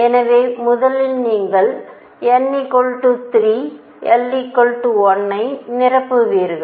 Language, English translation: Tamil, So, first you will fill n equal’s 3 l equals 1